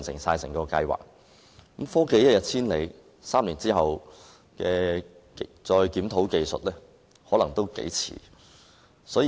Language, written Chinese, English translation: Cantonese, 但是，科技一日千里，假如在3年後才檢討技術，我恐怕已經太遲。, Given the rapid advancement in technology if the technology is not reviewed until three years later I am afraid it will already be too late